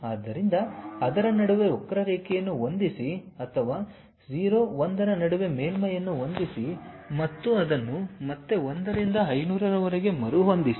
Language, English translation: Kannada, So, fit a curve in between that or fit a surface in between 0, 1 and again rescale it up to 1 to 500